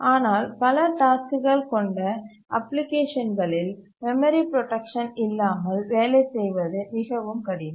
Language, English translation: Tamil, But for applications having many tasks, it becomes very difficult to work without memory protection